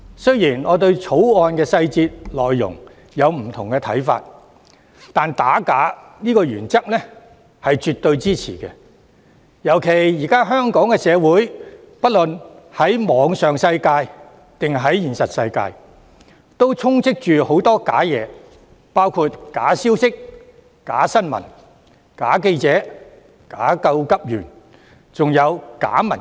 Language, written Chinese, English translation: Cantonese, 雖然我對《條例草案》的細節和內容有不同的看法，但我絕對支持打假的原則，特別是現今的香港社會無論在網上或現實世界，皆充斥着假的事物，包括假消息、假新聞、假記者、假急救員，還有假民主。, Although I have different views on the details and contents of the Bill I absolutely support the principle of combating forgery especially in view of the prevalence of counterfeit things in Hong Kongs society nowadays including fake information fake news fake journalists fake first - aiders and fake democracy both online and in the real world